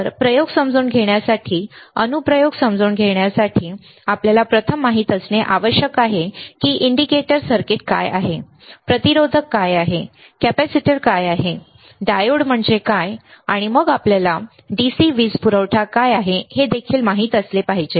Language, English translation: Marathi, So, for understanding the applications for understanding the experiments, we should first know what are the indicator circuits, what are the resistors, what are capacitors, right